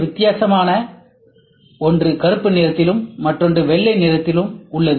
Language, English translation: Tamil, Also note there are two different one is black, other one is white